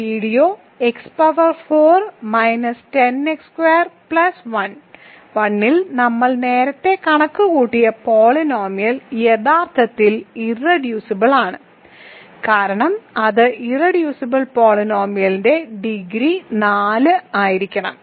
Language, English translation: Malayalam, That is related to the fact that the polynomial that we computed earlier in this video x power 4 minus 10 x square plus 1 is actually irreducible, because of that irreducible the least degree polynomial has to be of degree 4 ok